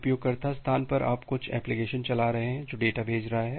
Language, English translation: Hindi, At the user space, you are running certain application that is sending the data